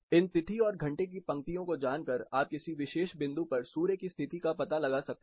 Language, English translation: Hindi, So, knowing this date and hour lines, you can locate the sun’s position at a particular point